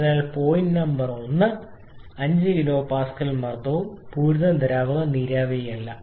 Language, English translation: Malayalam, So point Number 1 corresponds to a pressure of 5 kilo Pascal and saturated liquid not vapour